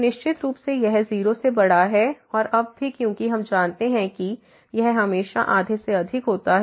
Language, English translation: Hindi, So, certainly this is greater than 0 and also now because we know that this is always greater than half